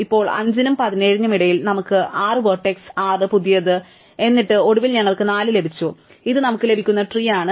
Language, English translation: Malayalam, Now, among 5 and 17, we have 6 as the vertex, 6 as the newer one, and then we had finally 4 and this is the tree that we get